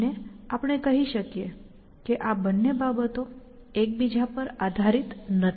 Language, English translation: Gujarati, And we can say that these two things are dependent of each other